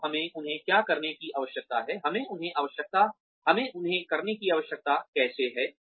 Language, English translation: Hindi, So, what do we need them to do, how do we need them to do, what we need them to do